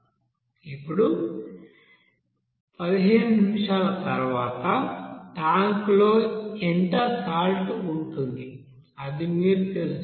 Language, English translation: Telugu, Now how much salt will remain in the tank at the end of 15 minutes that you have to find out